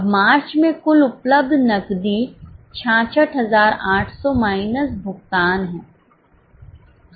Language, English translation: Hindi, Now in the March the total available cash is 66800 minus the payments